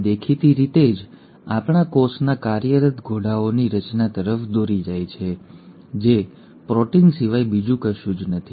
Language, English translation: Gujarati, It obviously leads to formation of the working horses of our cell which nothing but the proteins